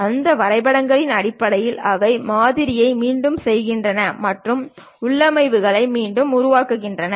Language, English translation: Tamil, And based on those drawings, they repeat the pattern and reproduce the configurations